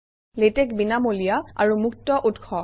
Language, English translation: Assamese, Latex is free and open source